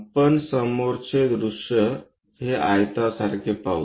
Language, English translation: Marathi, This is the front view like a rectangle we will see